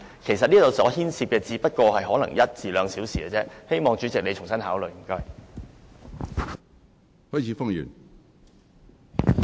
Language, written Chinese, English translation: Cantonese, 其實，他們的發言時間可能只需一兩小時，希望主席你重新考慮，謝謝。, In fact their speaking time may take only an hour or two . I hope that you President can reconsider it . Thank you